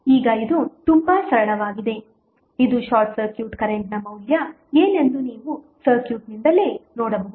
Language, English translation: Kannada, Now, it has become very simple which you can see simply from the circuit itself that what would be the value of short circuit current